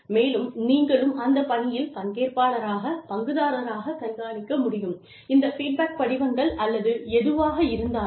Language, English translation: Tamil, And, you should be, as the active participant, as the stakeholder, you should be able to track, these feedback forms, or whatever